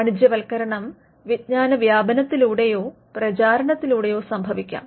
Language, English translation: Malayalam, The commercialization can also happen through dissemination or diffusion of the knowledge